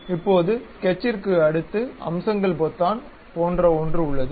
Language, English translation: Tamil, Now, next to Sketch there is something like Features button